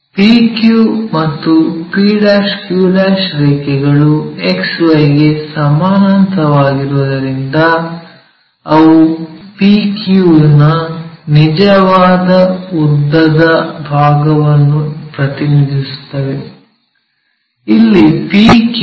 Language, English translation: Kannada, As lines p q and p' q' are parallel to XY, they represent true length side of PQ; here PQ is 60 mm